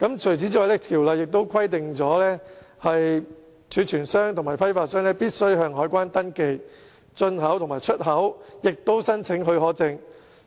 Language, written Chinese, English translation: Cantonese, 此外，條例亦規定，貯存商和批發商須向海關登記進口和出口，並且申請許可證。, Furthermore the Reserved Commodities Ordinance provides that rice stockholders and wholesalers are required to register import and export with the Customs and Excise Department and apply for permits